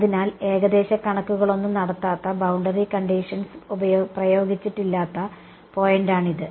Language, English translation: Malayalam, So, this is the point where no approximations have been made, no boundary condition has been applied yeah